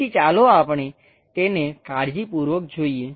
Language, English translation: Gujarati, So, let us look at this carefully